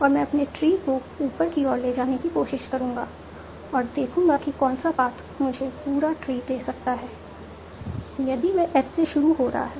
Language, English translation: Hindi, And I will try to grow my tree upwards and see which one can give me if complete tree is starting from S